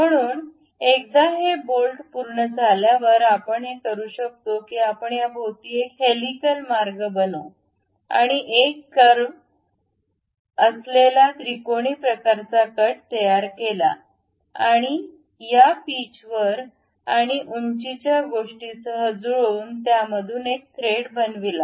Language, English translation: Marathi, So, once this bolt is done what we can do is we make a helical path around this and a triangular kind of cut with a nice curvature and pass with match with this pitch and height thing and make a thread out of it